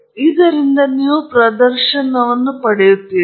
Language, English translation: Kannada, And from this you will have a display